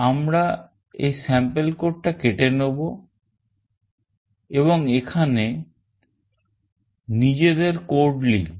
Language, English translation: Bengali, We will just cut out this sample code and we will be writing our code in here